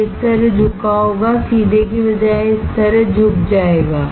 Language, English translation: Hindi, It will be bent like this, instead of straight it will bend like this right